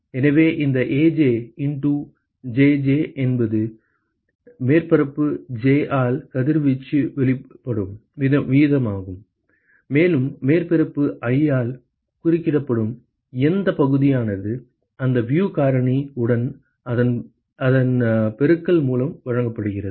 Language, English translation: Tamil, So, this Aj into Jj that is the rate at which the radiation is emitted by surface j and what fraction of that is intercepted by surface i is given by product of that with the view factor ok